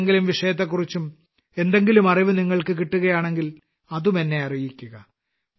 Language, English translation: Malayalam, If you get any more information on any other subject, then tell me that as well